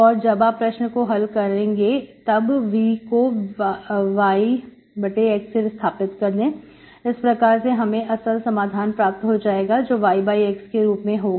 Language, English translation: Hindi, Once solve this, you can replace this V by y by x, that will give you actual solution y of x